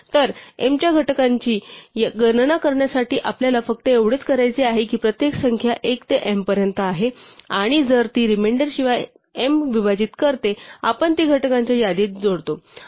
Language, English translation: Marathi, So, all we need to do to compute the factors of m is to test every number is range one to m and if it divides m without a reminder, then we add it to list of factors